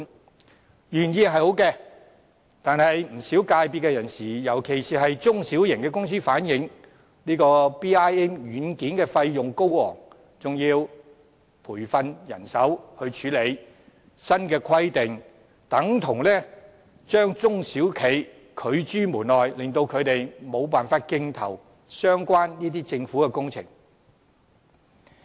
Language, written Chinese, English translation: Cantonese, 這項措施原意是好的，但不少業界人士，尤其是中小型公司反映 ，BIM 軟件的費用高昂，還要培訓人手來處理；新規定等同將中小企拒諸門外，令他們無法競投相關的政府工程。, However as regards such a well - intentioned measure many members of the trade especially SMEs have expressed that BIM software is very costly and staff have to be trained to operate it . The new requirement is tantamount to excluding SMEs from bidding for relevant government works projects